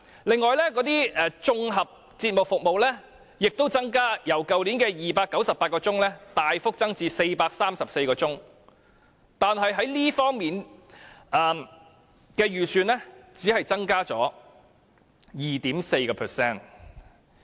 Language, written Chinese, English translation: Cantonese, 另外，綜合節目服務亦有所增加，由去年的298小時大幅增至434小時，但是，這方面的預算只是增加 2.2%。, Besides there is also an increase in general television programmes with its hours of output increasing considerably from 298 hours to 434 hours . However the estimated expenditure for these programmes will be increased by a mere 2.2 %